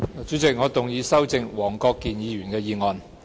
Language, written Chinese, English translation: Cantonese, 主席，我動議修正黃國健議員的議案。, President I move that Mr WONG Kwok - kins motion be amended